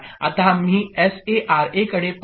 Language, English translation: Marathi, Now we look at S A R A